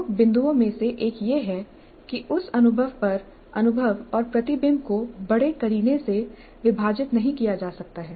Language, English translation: Hindi, One of the major points is that experience and reflection on that experience cannot be neatly compartmentalized